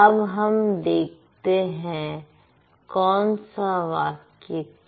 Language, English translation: Hindi, Let's look at this sentence